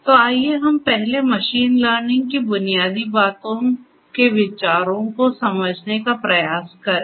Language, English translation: Hindi, So, let us first try to gets the ideas of the basics of machine learning